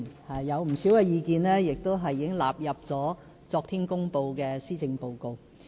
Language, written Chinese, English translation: Cantonese, 當中不少意見，已納入昨天公布的施政報告。, Many of these opinions have been taken up and written into the Policy Address delivered yesterday